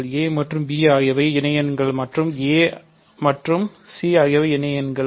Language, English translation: Tamil, So, a and b are associates and a and c are associates